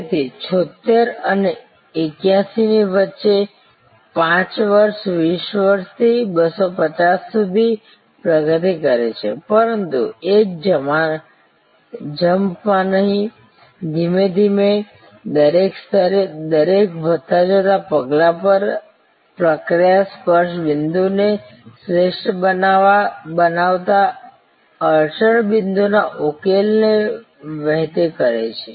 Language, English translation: Gujarati, So, between 76 and 81, 5 years progress from 20 to 250, but not in one jump progressively, working out at every level, at every incremental step, the process flow the solving of the bottle neck points optimizing the touch points